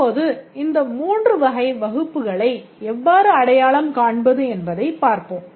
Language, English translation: Tamil, Now let's see that how to identify these three types of classes